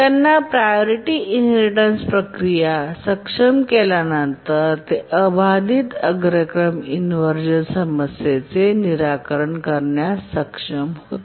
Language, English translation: Marathi, So, the enabled the priority inheritance procedure and then it could solve the unbounded priority inversion problem